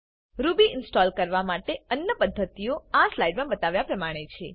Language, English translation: Gujarati, Other methods for installing Ruby are as shown in this slide